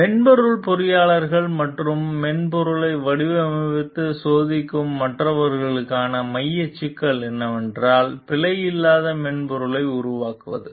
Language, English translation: Tamil, The central problem for software engineers and others who design and test software is that of creating a bug free software